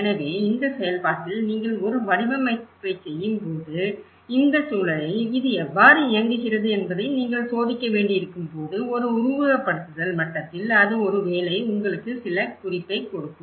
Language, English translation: Tamil, So, in this process, you know when you do a design, when you have to test back how it works in this context, on a simulation level, yeah, maybe it will give you some hint